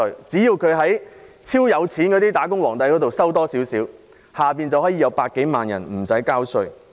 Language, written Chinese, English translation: Cantonese, 只要超高收入的"打工皇帝"多交少許稅，便會有100多萬人無需交稅。, If the kings of employees with excessively high incomes pay more tax more than 1 million taxpayers will not have to pay tax